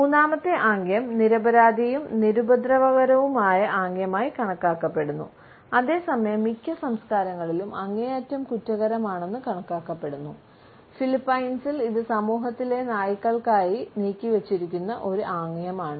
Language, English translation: Malayalam, The third gesture which is beginning at someone, which is considered to be an innocent and innocuous gesture, in most of the cultures is considered to be highly offensive, in Philippines, this is a gesture which is reserved for dogs in the society